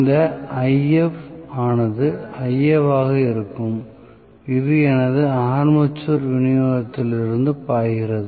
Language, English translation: Tamil, So, this If, whereas this is going to be Ia, which is flowing from my armature supply